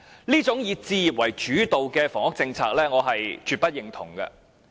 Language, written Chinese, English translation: Cantonese, 這種"以置業為主導"的房屋政策，我絕不認同。, I absolutely do not subscribe to such a housing policy focused on home ownership